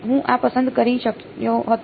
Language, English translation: Gujarati, I could have chosen this